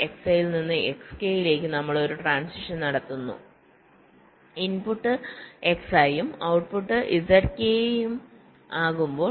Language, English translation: Malayalam, so, from s i to s k, we make a transition when the input is x i and the output is z k